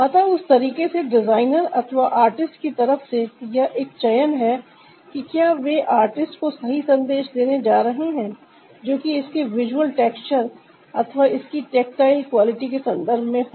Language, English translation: Hindi, so that way it's a choice from the part of the designer or the part of the artist whether they are going to give the right ah message to the ah artist in terms of its visual texture or in terms of its tactile quality